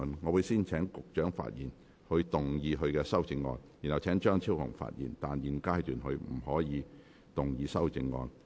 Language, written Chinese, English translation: Cantonese, 我會先請局長發言及動議他的修正案，然後請張超雄議員發言，但他在現階段不可動議修正案。, I will first call upon the Secretary to speak and move his amendment . Then I will call upon Dr Fernando CHEUNG to speak but he may not move his amendment at this stage